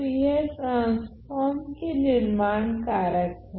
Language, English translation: Hindi, So, these are the building blocks of the transform ok